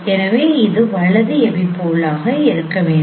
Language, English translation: Tamil, So this is the left epipole